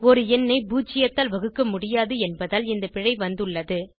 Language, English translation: Tamil, This error occurs as we cannot divide a number with zero